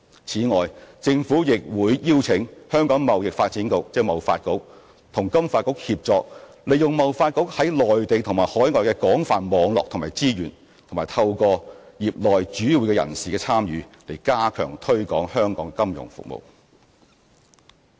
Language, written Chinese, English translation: Cantonese, 此外，政府亦會邀請香港貿易發展局和金發局協作，利用貿發局在內地和海外的廣泛網絡和資源，以及透過業內主要人士的參與，加強推廣香港的金融服務業。, Besides the Government will also request the Hong Kong Trade Development Council TDC to collaborate with FSDC with a view to strengthening the promotion of our financial services industry through TDCs extensive network and resources in the Mainland and overseas and the participation of principal members of the sector